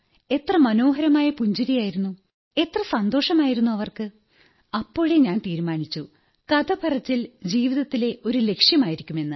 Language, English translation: Malayalam, such smiles, so much happiness there… and that was the moment I decided that story telling would be a goal of my life sir